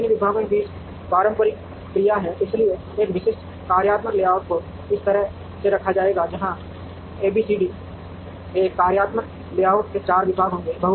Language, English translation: Hindi, And these departments have interactions amongst them, so a typical functional layout, will be laid out this way, where A B C D would be four departments in a functional layout